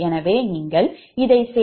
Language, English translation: Tamil, so this one will be zero, right